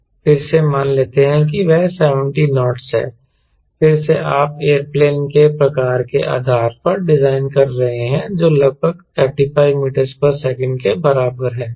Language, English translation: Hindi, again, lets say that is seventy knots, i think, based on type of aero plane you are designing, which is roughly equal to thirty five meter per second